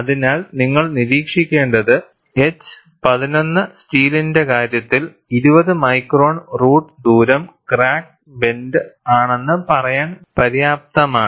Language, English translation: Malayalam, So, what is observed is, in the case of H 11 steel, 20 micron root radius is enough to say that, the crack is blunt